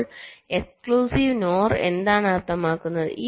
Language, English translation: Malayalam, so what does the exclusive node mean